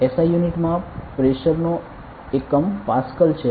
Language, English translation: Gujarati, In SI units the unit of pressure is Pascal